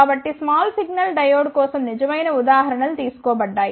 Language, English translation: Telugu, So, the true examples have been taken for the small signal diode